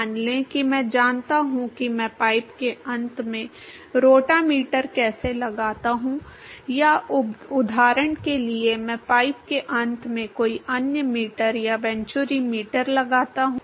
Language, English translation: Hindi, Let us say I know how I put a rotameter at the end of the pipe or I put some other meter at the end of the pipe or a venturimeter for example